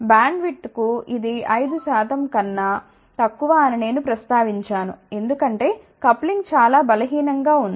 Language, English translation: Telugu, I did mention that this is good for Bandwidth less than 5 percent, because coupling is relatively week